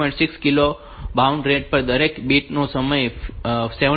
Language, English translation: Gujarati, 6 kilo baud rate, the each bit timing is 17